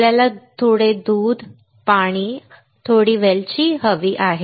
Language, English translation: Marathi, We need milk, some amount of water, some cardamoms